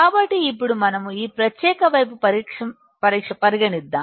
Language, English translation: Telugu, So, now we will just consider this particular side